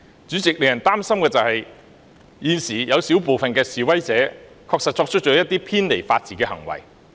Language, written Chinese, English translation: Cantonese, 主席，令人擔心的是現時有小部分示威者確實作出了一些偏離法治的行為。, President what is worrying is that now a small number of protesters did engage in acts not consistent with the rule of law